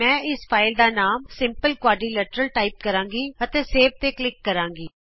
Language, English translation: Punjabi, I will type the filename as quadrilateral click on Save